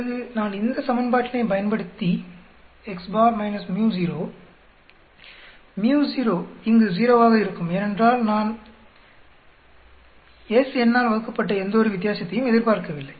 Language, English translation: Tamil, Then I will use the equation of x bar minus µ0 µ0 here will be 0 because I do not expect to see any difference divided by s square root of n